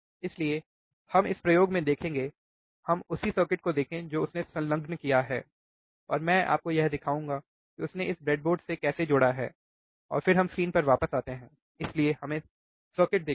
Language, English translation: Hindi, So, we will see this experiment, let us see the same circuit he has attached, and I will show it to you how he has attached on the breadboard, and then we come back to the to the screen alright so, let us see the circuit